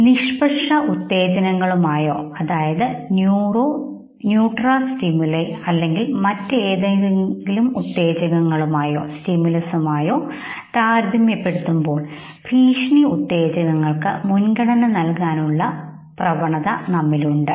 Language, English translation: Malayalam, Now there is an innate tendency in us to prioritize the threat stimuli compared to the neutral stimuli or any other stimuli okay